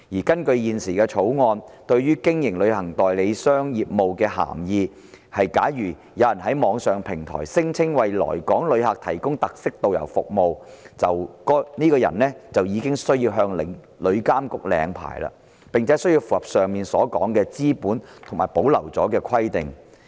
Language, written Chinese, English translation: Cantonese, 根據現時《條例草案》對於"經營旅行代理商業務"所定的涵義，假如有人在網上平台聲稱為來港旅客提供特色導遊服務，該人便需要向旅監局領牌，並且要符合上述有關"資本"及其他保留條文的規定。, According to the definition of carrying on travel agent business currently set out in the Bill if a person claims on an online platform that he provides characteristic guide services to inbound tourists he needs to apply for a licence from TIA and comply with the aforesaid requirements on capital and on other saving provisions